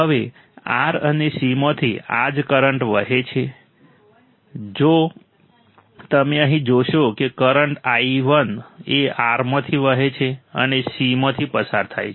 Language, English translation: Gujarati, Now, since the same current flows through R and C right, if you see here current i1 flows through R and goes through C